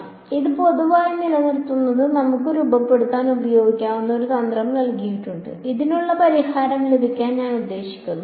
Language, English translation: Malayalam, So, but this keeping it general has given us a strategy that we can use to formulate I mean to get the solution to this